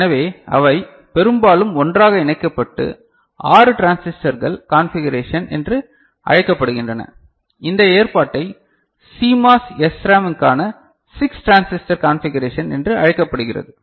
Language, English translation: Tamil, So, they are you know often pooled together and termed as 6 transistor configuration for I mean, this arrangement is called 6 transistor configuration for CMOS SRAM ok